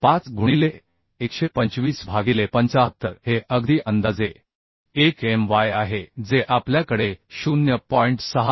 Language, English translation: Marathi, 5 into 125 by 75 this is absolutely approximate one My we have 0